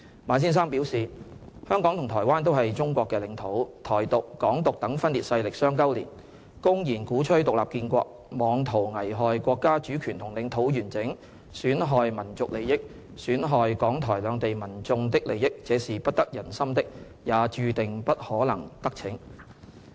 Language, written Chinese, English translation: Cantonese, 馬先生表示，"香港和台灣都是中國的領土。'台獨'、'港獨'等分裂勢力相勾連，公然鼓吹'獨立建國'，妄圖危害國家主權和領土完整，損害民族利益，損害港台兩地民眾的利益，這是不得人心的，也注定不可能得逞"。, Both Hong Kong and Taiwan are part of Chinese territory said Mr MA The separatist forces under such banners as Hong Kong independence and Taiwan independence collude and openly advocate independent statehood in a futile attempt to endanger national sovereignty and territorial integrity to the detriment of national interests and the interests of the people of Hong Kong and Taiwan . It will not enjoy popular support and is doomed to fail